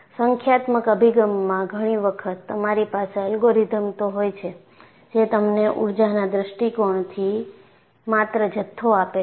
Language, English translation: Gujarati, In a numerical approach, many times, you have algorithms, which give you, from energy point of view, only the bundle of all this